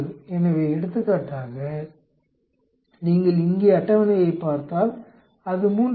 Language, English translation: Tamil, So, for example, if you look at the table here it comes out to be 3